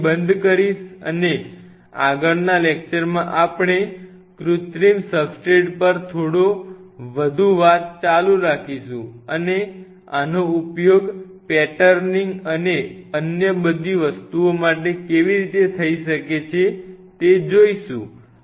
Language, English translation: Gujarati, I will close in here with this and next class we will continue little bit more on synthetic substrate and how these could be used for patterning and all other things